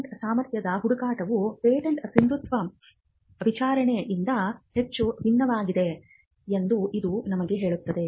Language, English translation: Kannada, This also tells us a patentability search is much different from a inquiry into the validity of a patent